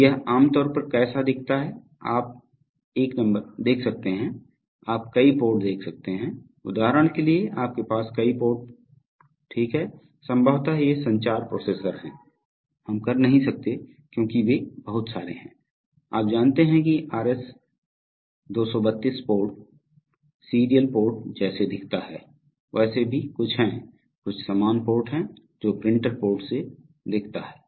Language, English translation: Hindi, So this is how it typically looks, you can see a number of, you know, you can see a number of ports, so for example you have a number of ports here right, so these are probably the communication processors, we cannot because they are having so many, you know RS 232 ports, serial ports look like, there are, there are some, there are some parallel ports looks like printer ports